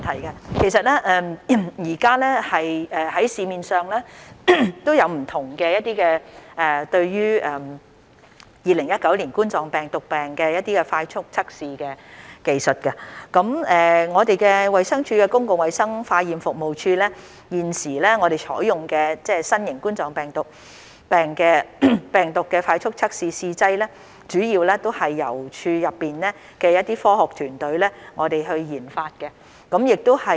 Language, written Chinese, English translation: Cantonese, 現時市面上有很多不同的2019冠狀病毒病快速測試技術，而衞生署公共衞生化驗服務處所採用的新型冠狀病毒病快速測試試劑，主要是由處內的科學團隊研發的。, There are various kinds of rapid test techniques for COVID - 19 available in the market and the rapid test kit for COVID - 19 currently used by DHs Public Health Laboratory Services Branch is mainly developed by the in - house scientific research team